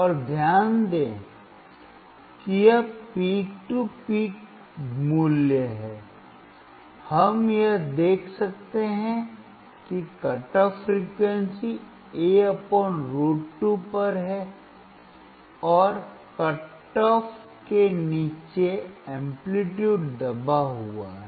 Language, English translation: Hindi, And note down it is peak to peak value, we can observe that at a frequency cut off (A / √2), and below the cut off amplitude is suppressed